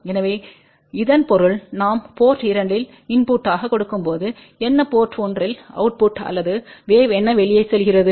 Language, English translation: Tamil, So, this means that when we are giving input at port 2 what is the output at port 1 or what is the wave going out here